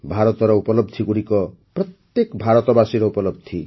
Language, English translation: Odia, India's achievements are the achievements of every Indian